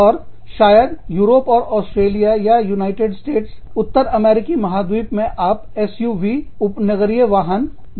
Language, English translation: Hindi, And, maybe in Europe, or say, Australia, or the United States, you could be making, or North American continent, you could be making, SUVs, suburban vehicles